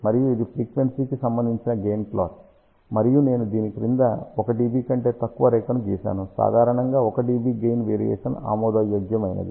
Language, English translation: Telugu, And this is the gain plot with respect to frequency and I have drawn a line which is about 1 dB below this; generally 1 dB gain variation is acceptable